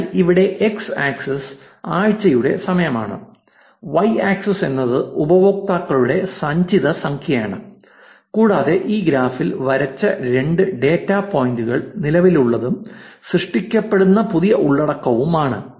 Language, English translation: Malayalam, So, here x axis is the time of week, y axis is the accumulated number of users and the two data points that are drawn in this graph is the existing and the new content that is getting generated